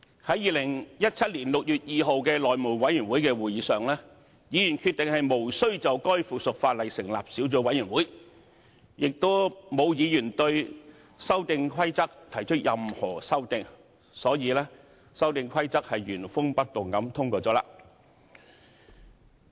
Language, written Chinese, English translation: Cantonese, 在2017年6月2日的內務委員會會議上，議員決定無須就該附屬法例成立小組委員會，亦沒有議員對《修訂規則》提出任何修訂，所以《修訂規則》原封不動地通過了。, At the House Committee meeting on 2 June 2017 Members decided that it was not necessary to set up a subcommittee on the Amendment Rules and no Member had proposed any amendments to it . The Amendment Rules were thus passed without any amendment